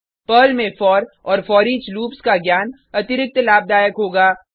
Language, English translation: Hindi, Knowledge of for and foreach loops in Perl will be an added advantage